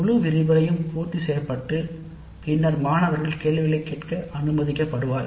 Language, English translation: Tamil, So the entire lecture is completed and then the students are allowed to ask the questions